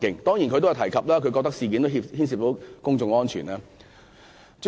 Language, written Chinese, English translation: Cantonese, 當然，他也提到因為事件牽涉公眾安全。, Of course he also said that public safety involved in this incident was one of his considerations